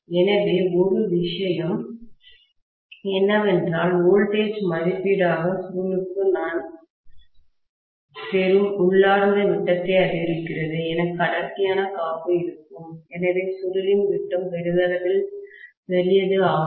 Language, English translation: Tamil, So, one thing is because of the inherent diameter I will get for the coil, as the voltage rating increases, I will have thicker insulation, so the diameter of the coil will become larger and larger